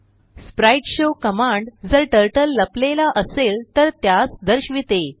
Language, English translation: Marathi, spriteshow command shows Turtle if it is hidden